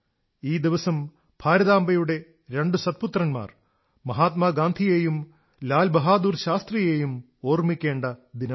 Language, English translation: Malayalam, This day, we remember two great sons of Ma Bharati Mahatma Gandhi and Lal Bahadur Shastri